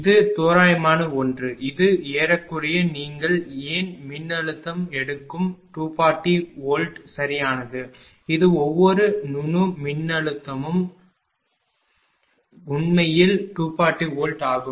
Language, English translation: Tamil, This is approximate one, this is approximate one why that everywhere you are taking the voltage is 240 volt right this is approximate one that every node voltage is actually 240 volt